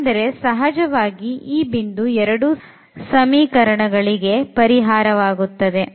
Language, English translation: Kannada, So, this is not possible to have a point which satisfy both the equations